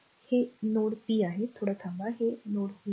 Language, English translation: Marathi, This is your node p , just hold on, this is your node p